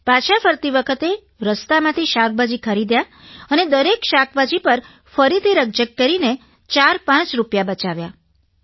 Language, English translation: Gujarati, On the way back, we stopped to buy vegetables, and again she haggled with the vendors to save 45 rupees